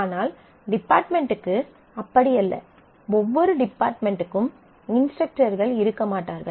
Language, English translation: Tamil, So, it is total, but it is not the same for the department, every department will not have instructors